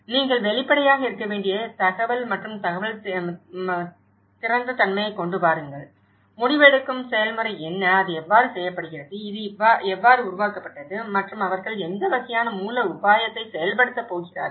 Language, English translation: Tamil, Bring the information and information and openness you have to be transparent, bring what the decision making process, how it is done, how this has been developed and what kind of strategy they are going to implement so, bring it more transparent ways